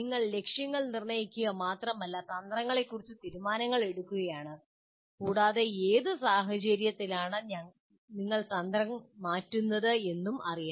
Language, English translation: Malayalam, So not only you are setting goals, but you are making decisions about strategies and also under what conditions you will be changing the strategy